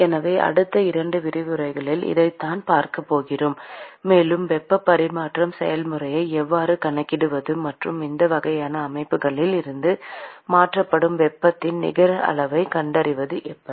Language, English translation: Tamil, So, this is what we are going to see for the next couple of lectures, and how to quantify heat transfer process, and how to find out the net amount of heat that is transferred from these kinds of systems